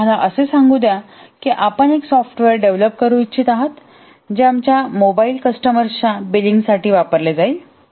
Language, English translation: Marathi, Or let's say you want to develop a software which will be used by, let's say, billing mobile customers